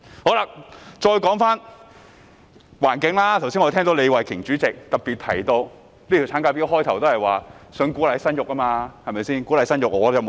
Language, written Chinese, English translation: Cantonese, 現在說回環境，剛才聽到代理主席李慧琼議員特別提到，這項產假法案一開始也是旨在鼓勵生育，對嗎？, Now let us get back to the environment . I just heard Deputy President Ms Starry LEE specifically mention that the maternity leave bill sought to encourage childbirth right from the outset right?